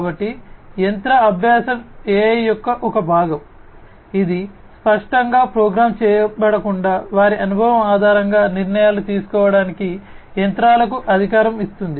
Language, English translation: Telugu, So, machine learning is a part of AI which empowers the machines to make decisions based on their experience rather than being explicitly programmed